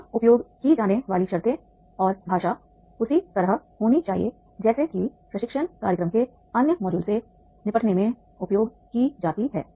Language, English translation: Hindi, The terms and languages used here should be the same as used in dealing with the other modules of the training program